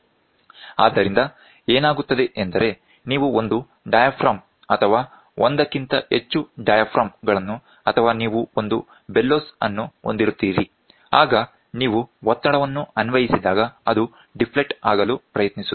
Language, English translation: Kannada, So, what happens is, you have one diaphragm or you have multiple diaphragms or you have a bellows so when the pressure is applied it tries to deflect